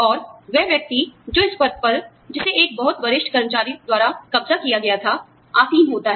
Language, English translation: Hindi, And, the person, who moves into the position, occupied by a very senior employee